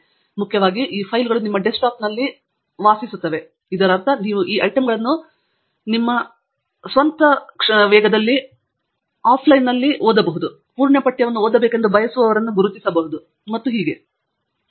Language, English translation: Kannada, And most importantly, these files reside on your desktop, which means, that you can go through these items at your own pace, offline, and identify those who you want to read the full text of, and so on